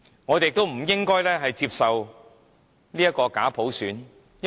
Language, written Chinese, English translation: Cantonese, 我們亦不應接受假普選。, We should not accept a fake universal suffrage